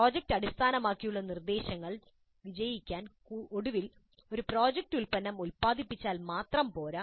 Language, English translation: Malayalam, For project based instruction to succeed, it is not enough if finally a project produces a product